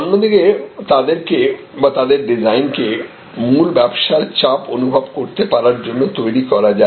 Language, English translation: Bengali, But, on the other hand they can be made to feel or their design to feel the pressure of the original business